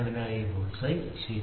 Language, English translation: Malayalam, So, here is the bull’s eye, ok